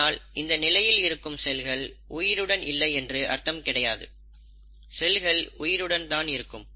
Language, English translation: Tamil, Now it doesn't mean that in this phase the cells are not living, the cells are living